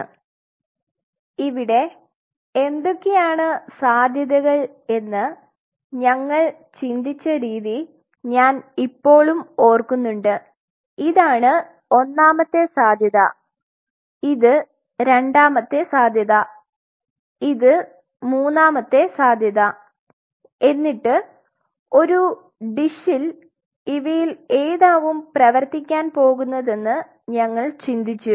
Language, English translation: Malayalam, So, this is the way we thought it out I still remember that what are the possibilities this is one possibility, this is the second possibility, this is the third possibility and we think around it on a dish that which one is going to work